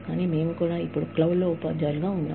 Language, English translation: Telugu, But, we are also now, teachers in the cloud